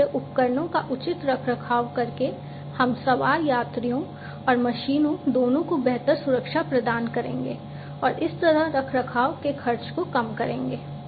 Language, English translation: Hindi, So, proper maintenance of the equipment, we will provide improved safety to both the onboard passengers and the machines and thereby reducing the maintenance expenses